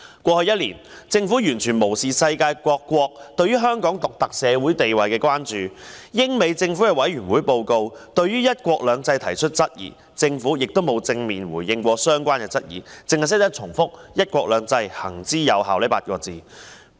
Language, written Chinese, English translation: Cantonese, 過去一年，政府完全無視世界各國對於香港獨特社會地位的關注，而英美政府的委員會報告對"一國兩制"提出質疑，政府亦從未作出正面回應，只是不斷重複"'一國兩制'行之有效"這8個字。, Over the past year the Government has completely ignored the concerns expressed by the rest of the world about the unique social status of Hong Kong and has never directly responded to the queries raised by the British and American Governments in their committee reports regarding one country two systems . Instead it simply repeated that the implementation of one country two systems has been effective